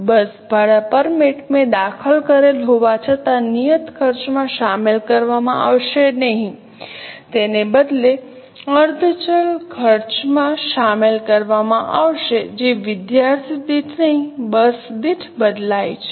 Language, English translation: Gujarati, Bus rent permit though I have entered will not be included in fixed cost, it will rather be included in semi variable cost which changes per bus, not per student